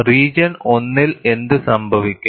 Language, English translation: Malayalam, What happens in region 1